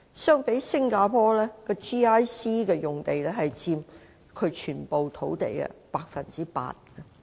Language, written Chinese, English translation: Cantonese, 相比之下，新加坡的 GIC 用地佔其全國土地的 8%。, In contrast GIC sites in Singapore account for 8 % of its total land area